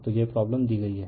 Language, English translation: Hindi, So, this is the problem is given